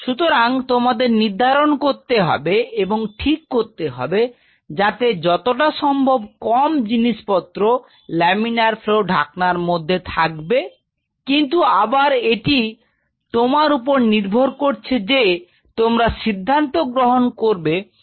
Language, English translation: Bengali, So, you have to decide it is advisable that put minimum stuff inside the laminar flow hood, but again this is up to you and your team to decide what all things you wanted to place